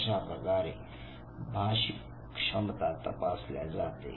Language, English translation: Marathi, So this is how the language ability is tested